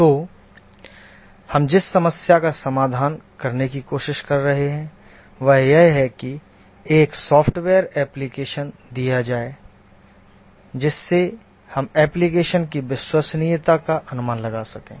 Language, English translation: Hindi, So the problem that we are trying to address is that given a software application, how do we go about estimating the reliability of the application